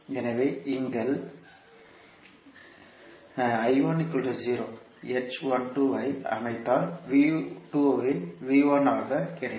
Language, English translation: Tamil, So it will become h12 V2